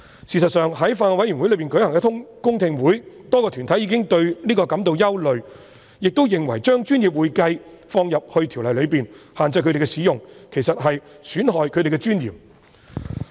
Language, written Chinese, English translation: Cantonese, 事實上，在法案委員會舉行的公聽會上，多個團體已表達對此感到憂慮，亦認為將"專業會計"這稱謂納入《條例》內，並限制他們使用，其實在損害他們的尊嚴。, In fact at the public hearing of the Bills Committee many deputations have expressed such a concern . They considered that including the description professional accounting in the Ordinance will restrict their use of the term and will actually undermine their dignity